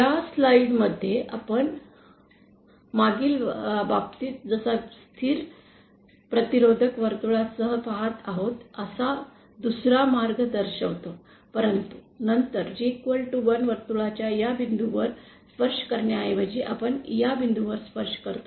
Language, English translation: Marathi, In this slide we will show another path we are 1st going along a constant resistance circle like in the previous case but then instead of touching G equal to 1 circle at this point, here we touch at this point